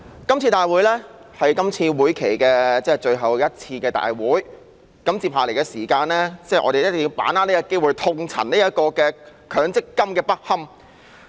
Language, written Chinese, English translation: Cantonese, 這次會議是今屆立法會會期最後一次會議，在餘下時間我們一定要把握這個機會痛陳強制性公積金的不堪。, This is the last meeting in this term of the Legislative Council . In the remaining time we must make use of this opportunity to elaborate on the ineffectiveness of the Mandatory Provident Fund MPF system